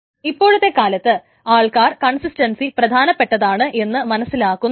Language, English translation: Malayalam, And even nowadays it is people are realizing more and more that consistency matters a lot